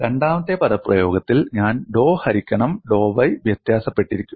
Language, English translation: Malayalam, In the second expression I differentiate with respect to dou by dou y